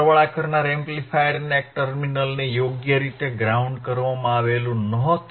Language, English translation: Gujarati, One of the terminals of the summing amplifier was not properly grounded